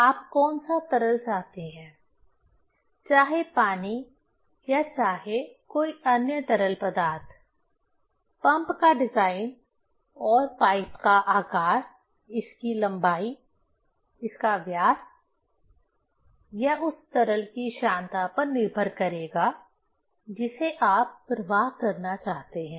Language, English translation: Hindi, Which liquid you want to, whether water or whether some other liquids, the design of the pump and pipe size, its length, its diameter will depend on the viscosity of the liquid which you want to flow